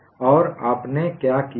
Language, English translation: Hindi, And what you have done